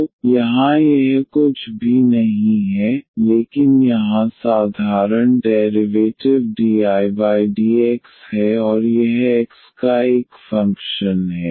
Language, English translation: Hindi, So, here this is nothing, but the ordinary derivative here dI over dx and this is a function of x